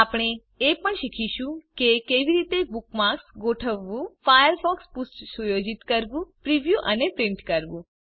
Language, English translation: Gujarati, We will also learn, how to: Organize Bookmarks, Setup up the Firefox Page, Preview and Print it